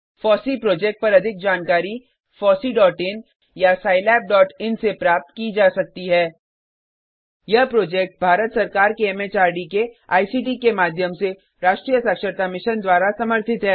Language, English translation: Hindi, More information on the FOSSEE project could be obtained from fossee.in or scilab.in Supported by the National Mission on Eduction through ICT, MHRD, Government of India